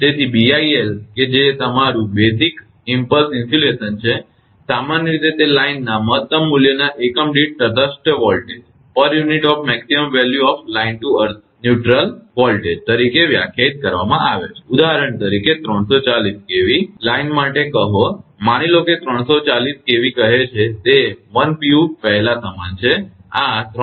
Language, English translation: Gujarati, So, BIL that is your basic impulse insulation is usually defined as a per unit of maximum value of the line to neutral voltage right that is for example, say for 340 kV line, suppose 340 kV say it is 1 pu is equal to first these 345 by root 3